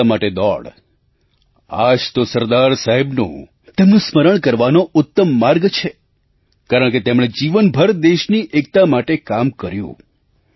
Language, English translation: Gujarati, This is the best way to remember SardarSaheb, because he worked for the unity of our nation throughout his lifetime